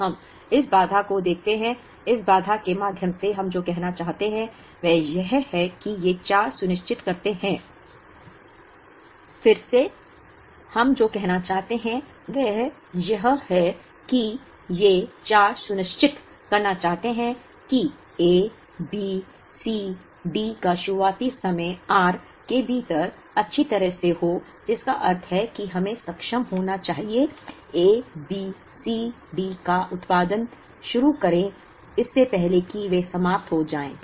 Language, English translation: Hindi, Now, the movement we look at this constraint, what we are trying to say through this constraint is that, these four ensure that the starting times of A, B, C, D are well within the r, which means we should be able to start the production of A, B, C, D, before they are exhaust